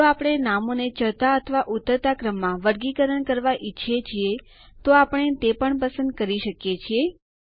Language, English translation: Gujarati, We can also choose if we want to sort the names in ascending or descending order